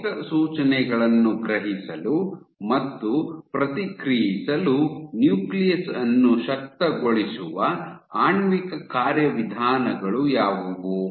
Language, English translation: Kannada, So, what are the molecular mechanisms that enable the nucleus to sense and respond to physical cues